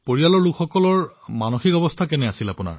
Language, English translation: Assamese, How were family members feeling